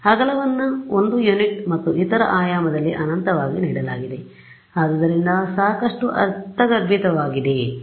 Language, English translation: Kannada, The width is given as 1 unit and infinite in the other dimension so, fairly intuitive right